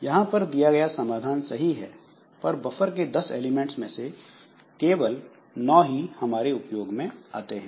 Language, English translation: Hindi, The solution presented here is correct but only 9 out of 10 buffer elements can be used